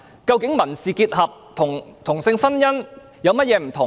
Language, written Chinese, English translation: Cantonese, 究竟民事結合與同性婚姻有何不同？, What exactly are the differences between civil union and same - sex marriage?